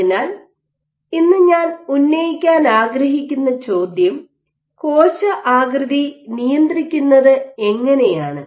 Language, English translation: Malayalam, So, the question I want to raise todays, how do you go about controlling cell shape